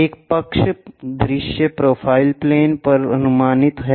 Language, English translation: Hindi, A side view projected on to profile plane